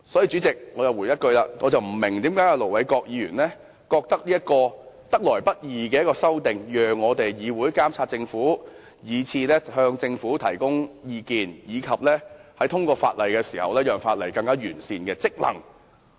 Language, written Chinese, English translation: Cantonese, 主席，這項得來不易的修訂，讓議會不單可以監察政府及向政府提供意見，亦讓議員履行令通過的法例更完善的職能。, President this hard - won amendment not only enables the Council to monitor and give advice to the Government but also allows Members to fulfil their duties of improving the legislation passed